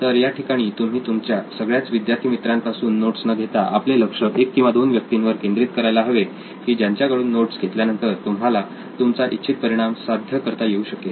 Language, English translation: Marathi, Instead of you getting notes from all of your peers, you should rather focus on getting a note from one or a couple of people which would give you desired result, right